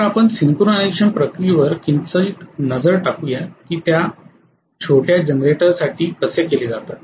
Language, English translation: Marathi, So let us probably slightly take a look at the synchronization process how it is done for smaller generators